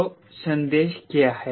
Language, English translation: Hindi, so what is the message